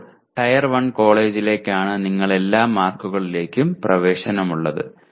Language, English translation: Malayalam, Now Tier 1 college is where you have access to all the marks